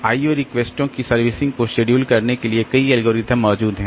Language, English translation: Hindi, Several algorithms exist to schedule the servicing of the I